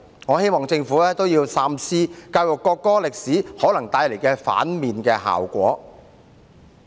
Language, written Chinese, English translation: Cantonese, 我希望政府三思教育國歌歷史可能帶來的負面效果。, I hope that the Government will think twice about the possible negative impact of teaching the history of the national anthem